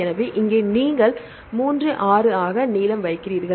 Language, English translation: Tamil, So, here you have a length as 3 6